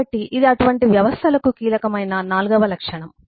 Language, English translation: Telugu, so this is fourth attribute, which is critical for such systems